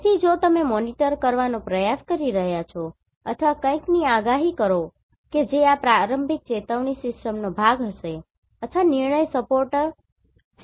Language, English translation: Gujarati, So that is why if you are trying to monitor or predict something that will be part of this early warning system or decision support system right